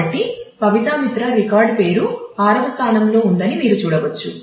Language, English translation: Telugu, So, you can see that Pabitra Mitra the record name occurs at position 6